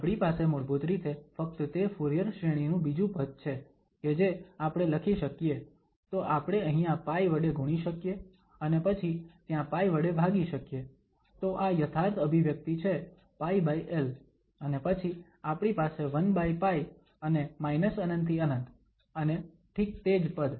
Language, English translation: Gujarati, We have only that a second term of that Fourier series basically, which we can write down, so we can multiply here by pi and then we can divide by pi there, so, this is exactly the expression here pi over l and then we have 1 over pi and minus infinity to infinity and exactly the same term